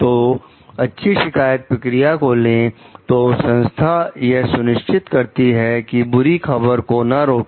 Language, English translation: Hindi, So, by taking like good complaint procedure; so, organizations can ensure like the bad news is not repressed